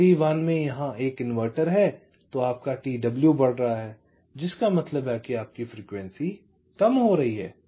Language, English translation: Hindi, so there is a inverter here in c one, then your t w is increasing, which means your frequency would be decreasing